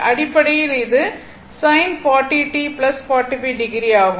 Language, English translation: Tamil, So, basically it is sin 40 t plus 45 degree